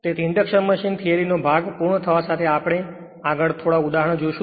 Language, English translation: Gujarati, So, with this induction machine theory part is complete next we will see few examples